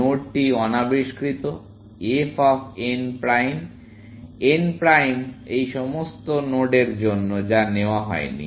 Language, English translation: Bengali, The node unexplored, f of n prime where, n prime are all these nodes, which have not been taken, essentially